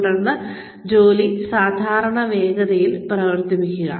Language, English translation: Malayalam, Then, run the job, at a normal pace